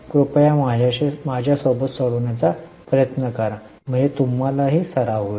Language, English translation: Marathi, Please try to solve with me so that you also get the practice